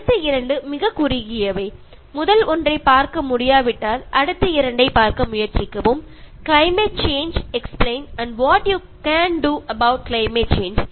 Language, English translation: Tamil, The next two are very short, if you cannot watch the first one, try to watch the next two—Climate Change Explained and What You Can Do About Climate Change